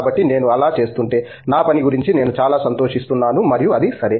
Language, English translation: Telugu, So, if I am doing that I am quite excited about my work and so on and that is OK